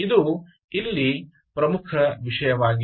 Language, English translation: Kannada, this is the key thing